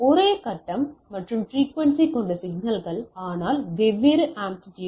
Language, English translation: Tamil, So, signals with same phase and frequency, but different amplitudes